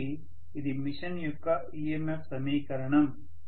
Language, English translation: Telugu, so, this is the EMF equation of the machine